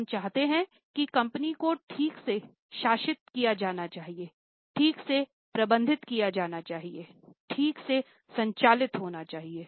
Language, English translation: Hindi, We want that company should be ruled properly, should be managed properly, should be operated properly